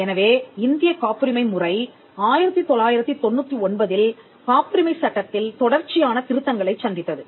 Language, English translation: Tamil, So, the Indian patent system went through a series of amendments to the patents act in 1999, followed in 2002 and later on in 2005